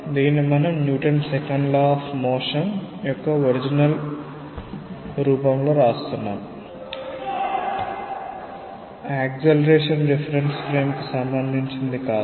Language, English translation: Telugu, See these we are writing in the original form of the Newton s Second Law of Motion; not with respect to an accelerating reference frame